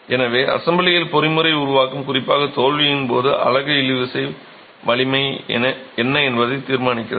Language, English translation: Tamil, So, the mechanism formation in the assembly, particularly at failure, is determined by what is the tensile strength of the unit